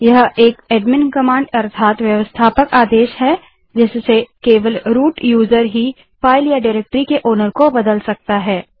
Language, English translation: Hindi, This is an admin command, root user only can change the owner of a file or directory